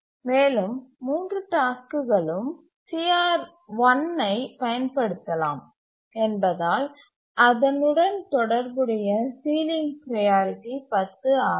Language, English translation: Tamil, And since three tasks can use CR1, the sealing priority associated with CR1 is 10